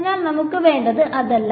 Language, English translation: Malayalam, So, that is not what we want